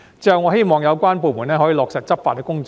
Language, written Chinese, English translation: Cantonese, 最後，我希望有關部門可以落實執法工作。, Finally I hope that the departments concerned will take law enforcement actions seriously